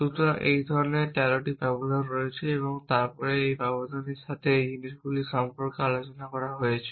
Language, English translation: Bengali, So, in there are 13 such intervals and then there is an talks about these thing with a intervals we will not get into to this here